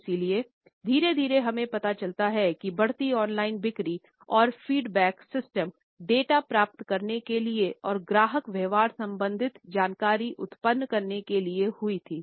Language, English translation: Hindi, So, gradually we find that increasingly online sales and feedback systems for getting data and related information about the customer behaviour were generated